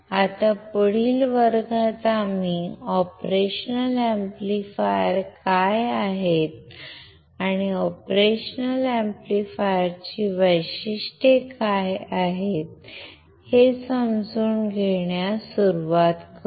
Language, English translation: Marathi, Now, in the next class we will start understanding what the operational amplifiers are, and what are the characteristics of the operational amplifier